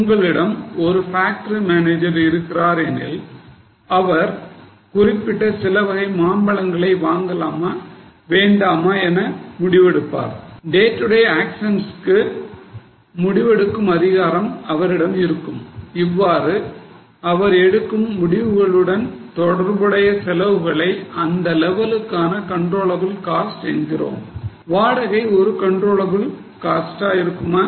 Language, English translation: Tamil, So, if you have got a factory manager who can decide to take purchase or not purchase certain categories of mangoes, who has the authority to decide certain day to day actions, then those costs which can be attributed to his or her decisions would be the controllable cost for that level